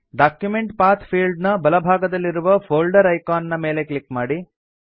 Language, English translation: Kannada, Click on the folder icon to the right of the Document Path field